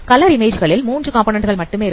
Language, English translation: Tamil, So color images they have only three components